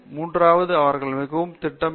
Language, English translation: Tamil, Third is that they should be very systematic